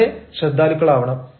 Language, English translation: Malayalam, please be careful